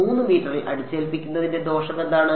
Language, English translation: Malayalam, What is the disadvantage of imposing at a 3 meters